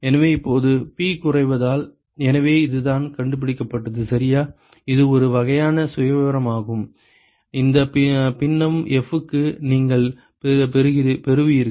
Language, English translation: Tamil, So, now, as P is decreased ok, so this is the what is found is this is a kind of profile that you will get for this fraction F ok